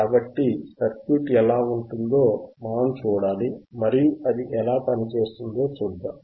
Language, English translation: Telugu, So, we have to see we have to see how the circuit looks like and then we will see how it works ok